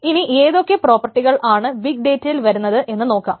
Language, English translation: Malayalam, So the three most important properties of big data